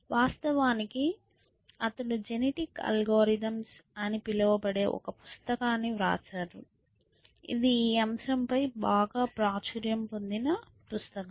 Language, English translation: Telugu, And in fact, he has written a book which is called genetic algorithms or something like that, which is a very popular book on this topic essentially